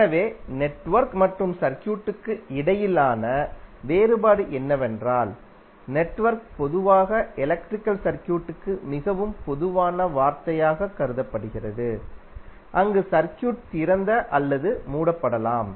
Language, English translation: Tamil, So the difference between network and circuit is that network is generally regarded as a more generic term for the electrical circuit, where the circuit can be open or closed